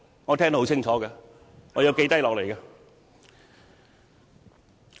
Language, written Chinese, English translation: Cantonese, 我聽得很清楚，並已記錄下來。, I have clearly heard what he said and put that on record